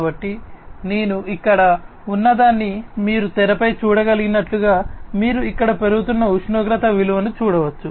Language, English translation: Telugu, So, what I have over here as you can see on the screen as you can see over here the temperature value it is increasing, right